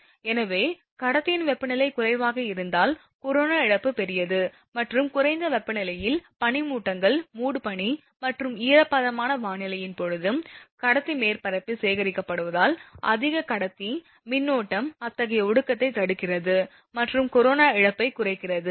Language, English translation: Tamil, So, corona loss is larger if the conductor temperature is low and this is due to the fact that at the low temperature the dew drops collect on the conductor surface during fog and humid weather, high conductor current prevents such condensation and reduces corona loss